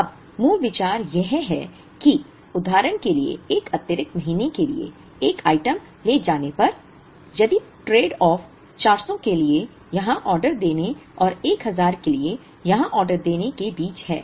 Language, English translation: Hindi, Now, the basic idea is that, if carrying an item for an extra month for example, if the tradeoff is between placing an order here for 400 and placing an order here for 1000